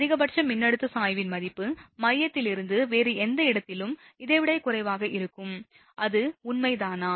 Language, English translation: Tamil, The value of the maximum voltage gradient, at any other point right away from the centre would be less than this, that is true right